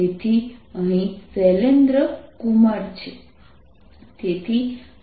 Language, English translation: Gujarati, so here is shailendra kumar